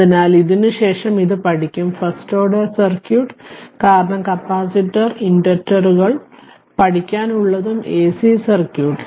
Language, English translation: Malayalam, So, just because after this we will study that your first order circuit, because capacitor inductors, we have to learn and AC circuit of course